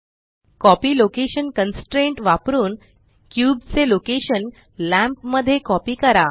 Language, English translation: Marathi, The copy location constraint copies the location coordinates of the cube and applies it to the lamp